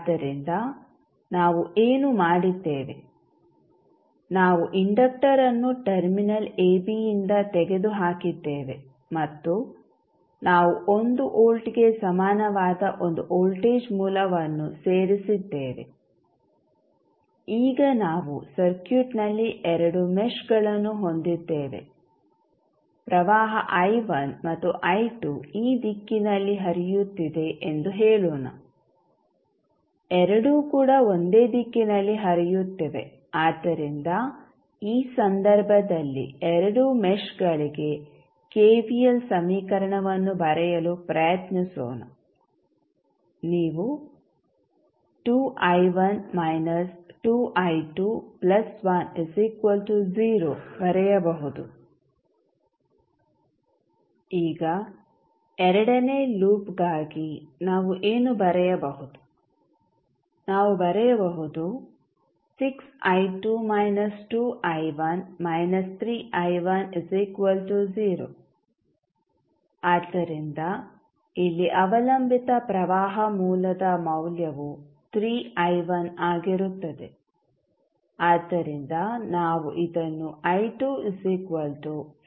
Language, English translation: Kannada, So, what we have done we have remove the inductor from terminal AB and we added one voltage source equal to 1 volt now, we have two meshes in the circuit, let say the current I1 and I2 is flowing in this direction both are in the same direction so, let us try to write the KVL equation for both of the meshes in this case, you can write, 2 I1 minus I2 because I1 I2 will be in different direction here, so this would be the I1 and this would be the direction of I2